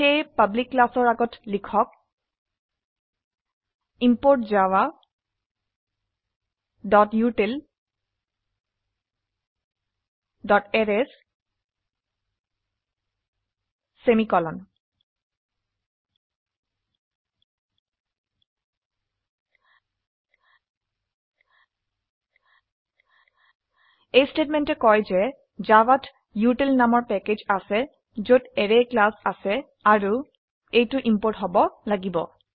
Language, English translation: Assamese, So Before public class, type import java.util.Arrays semicolon This statement says that java contains a package called util which contains the class Arrays and it has to be imported